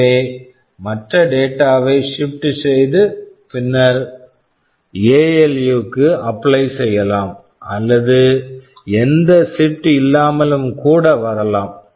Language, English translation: Tamil, So, if the other data can be shifted and then appliedy to ALU or it can even come without that, so with no shifting